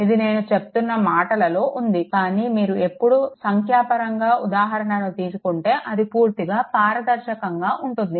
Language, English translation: Telugu, It is in words I am telling, but when you will take numerical, it will be totally transparent right